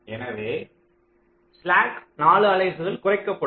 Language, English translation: Tamil, so the slack will be reduced by four units